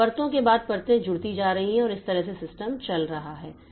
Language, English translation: Hindi, So, layers after layers are getting added and that way the system is operating